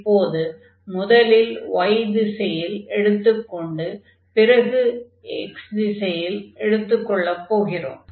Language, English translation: Tamil, So, we can let us take now first in the direction of y, and then in the direction of x